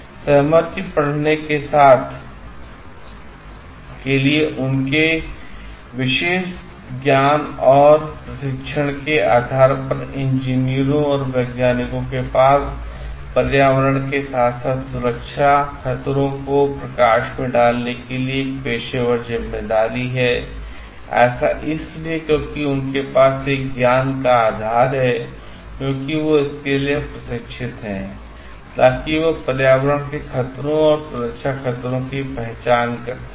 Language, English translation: Hindi, Their specialised knowledge and training at the basis for growing consensus that engineers and applied scientists have a professional responsibility to bring environmental as well as safety hazards to light, because they have a knowledge base, because they are trained for it to recognize with the environmental hazards, and safety hazards